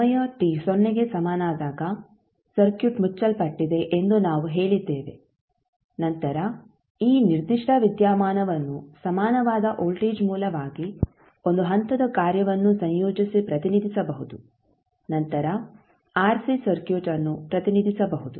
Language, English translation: Kannada, We said that when a particular time t is equal to 0 the circuit is closed then this particular phenomenon can be equivalently represented as a voltage source with 1 step function combined and then the RC circuit